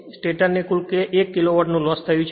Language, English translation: Gujarati, The stator losses total 1 kilowatt